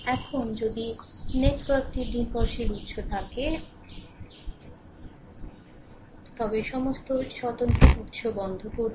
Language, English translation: Bengali, Now, if the network has dependent sources, turn off all independent sources right